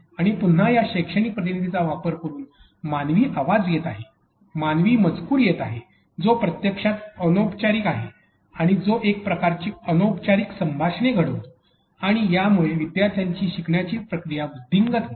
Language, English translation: Marathi, And then again using these pedagogical agents, there is human voice that is coming up, there is human text that is coming up that is actually informal that brings some sort of informal conversation and this again enhances the learning process of their students